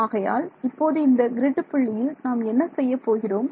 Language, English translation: Tamil, So, at this grid point what do I do